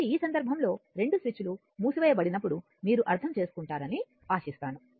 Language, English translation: Telugu, So, in this case I hope you will understand this right when both switches are closed right